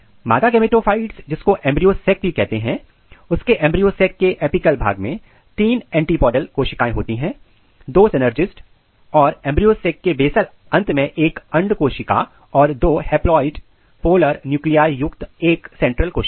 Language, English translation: Hindi, And if you look female gametophyte this female gametophyte which is also called embryo sac it contains three antipodal cells on the apical region of embryo sacs, then it has two synergids and one egg cells at the basal end of the embryo sac and then a central cell containing two haploid polar nuclei